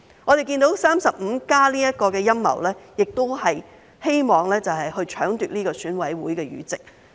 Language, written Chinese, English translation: Cantonese, 我們看到 "35+" 的陰謀也是希望搶奪選委會議席。, We can see that the conspiracy of 35 likewise aimed to seize the EC seats